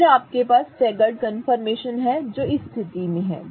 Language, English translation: Hindi, Okay, so then you have the staggered confirmation which is in this state